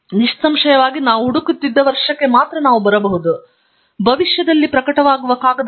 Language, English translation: Kannada, Obviously, we can come only up to the year that we are searching, because the paper that will be published in future are not yet available to us at this point